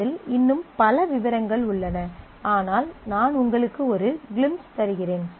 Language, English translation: Tamil, There are far more details in that, but I am just giving you the glimpse